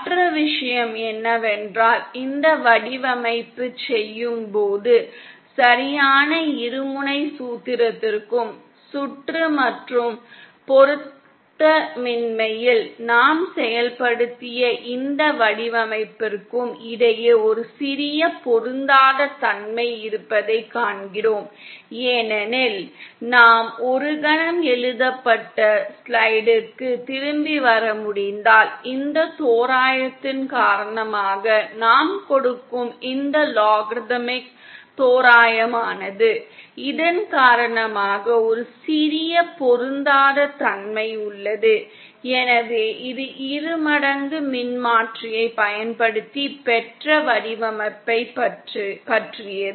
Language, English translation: Tamil, The other thing is when we do this design we see that there is a slight mismatch between the exact binomial formula and this design that we have implemented on the circuit and mismatch is because… if we can come back to the written slide for a moment is because of this approximation, this logarithmic approximation that we give, because of this, there is a slight mismatch, so that was all about design using the binomial transformer